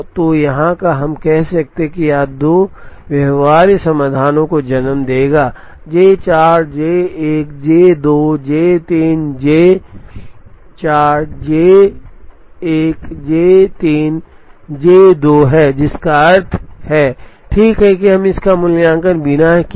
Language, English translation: Hindi, So, right here we could have said, this will give rise to two feasible solutions, which is J 4 J 1 J 2 J 3, J 4 J 1 J 3 J 2 which means, right here we could have evaluated this without doing this and without doing this 266